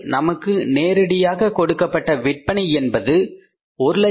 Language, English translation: Tamil, Sales figure given to us is directly given to us is 189,500